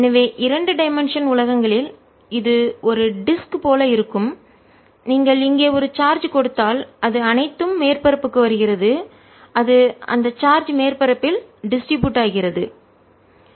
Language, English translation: Tamil, so in two dimensional world it will be like a disk and if you give a charge here it is all coming to the surface, it get distributed on the surface